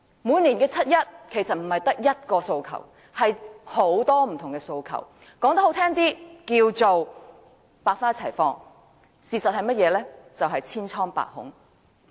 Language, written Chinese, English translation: Cantonese, 每年的七一遊行，市民其實不只有一個訴求，而是有很多不同的訴求，說得動聽些，可謂百花齊放，但事實上是社會千瘡百孔。, In each years 1 July march participants do not come with one but many aspirations . To put it nicer a hundred flowers blossom; but the reality is that the community is rife with all sorts of problems